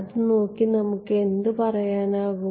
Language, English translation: Malayalam, Looking at it what can you say